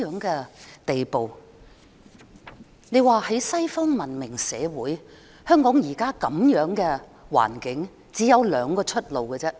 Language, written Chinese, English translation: Cantonese, 在西方文明社會，香港現在的環境只有兩條出路。, In Western civilized societies the current situation of Hong Kong could only have two ways out